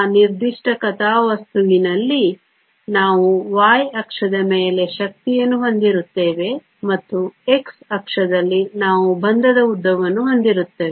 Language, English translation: Kannada, In that particular plot, we will have energy on the y axis and we will have bond length on the x axis